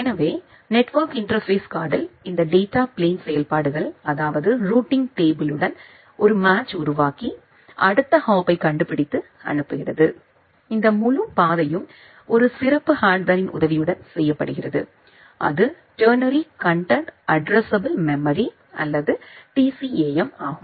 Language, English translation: Tamil, So, in the network interface card this data plane functionalities that means, making a match with the routing table find out the next hop and sending it to the next hop, this entire path it is done with the help of a specialized hardware which is called Ternary Content Addressable Memory or TCAM